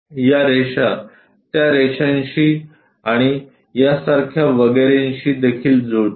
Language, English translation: Marathi, These lines are also maps onto that and so on